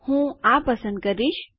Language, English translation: Gujarati, I will select this one